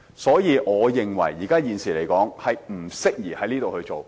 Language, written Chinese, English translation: Cantonese, 所以，我認為現時不適宜這樣做。, Hence I think it is not the appropriate time to do so now